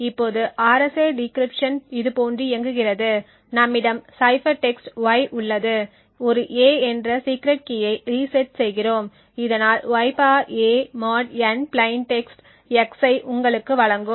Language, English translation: Tamil, Now the RSA decryption works like this so we have y which is the cipher text and we reset to a secret key known as a so (y ^ a) mod n would give you the plain text x